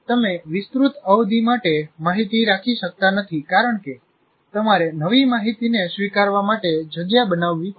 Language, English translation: Gujarati, You cannot keep information for a long period because you have to make space for the new information to come in